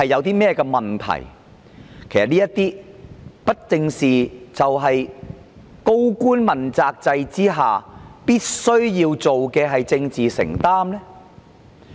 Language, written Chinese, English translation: Cantonese, 這些不正是高官問責制下必須要做的政治承擔嗎？, Are these not the essential political commitments under the accountability system for principal officials?